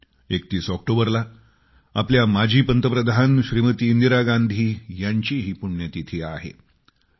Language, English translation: Marathi, The 31st of October also is the death anniversary of our former Prime Minister Indira Gandhi